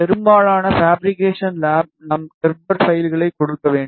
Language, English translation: Tamil, In most of the fabrication lab we need to give Gerber files